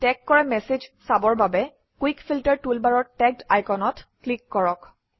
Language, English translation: Assamese, To view messages that are tagged, from the Quick Filter toolbar, click on the icon Tagged